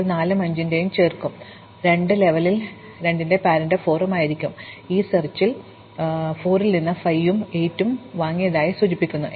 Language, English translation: Malayalam, Now, 4 will add 5 and 8, so for these 2, the level will be 2 and the parent will be 4, indicating that I got to 5 and 8 from 4 in my exploration